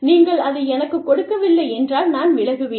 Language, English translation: Tamil, And, if you do not give it to me, i will quit